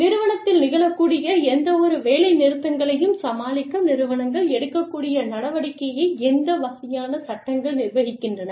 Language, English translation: Tamil, So, what, with what kind of laws, govern the action, that organizations can take, to deal with any strikes, that may happen in their organization